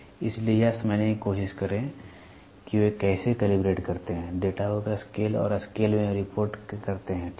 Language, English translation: Hindi, So, try to understand how they calibrate, calibrate the data to scale and report in scale, ok